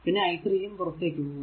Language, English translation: Malayalam, And this is i 2 is leaving i 1 is also leaving